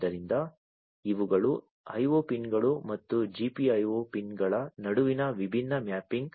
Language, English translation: Kannada, So, these are the different mapping between the IO pins and the GPIO, you know, the GPIO pins